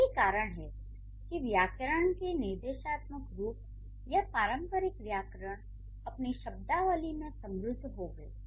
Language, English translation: Hindi, So, that is why the prescriptive tradition of grammar or the, or you can call it traditional grammar, it is rich with terminologies